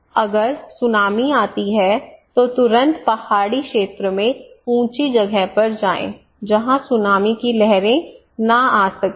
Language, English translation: Hindi, If there is a tsunami, go immediately to the higher place in a mountainous area where tsunami waves cannot come